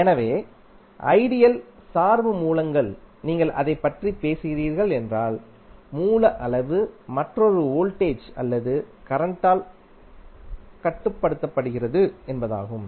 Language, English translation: Tamil, So, ideal dependent source if you are talking about it means that the source quantity is controlled by another voltage or current